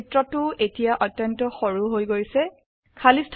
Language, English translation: Assamese, The figure has now become extremely compact